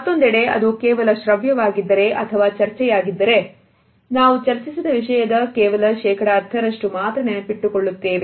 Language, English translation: Kannada, On the other hand if it is only and audio presentation or discussion then we retain perhaps about only 10% of the content which has been discussed